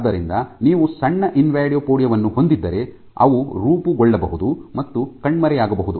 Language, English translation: Kannada, So, if you have small invadopodia they might form and disappear